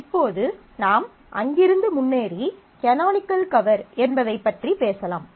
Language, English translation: Tamil, Now, we move forward from there and talk about what is known as a canonical cover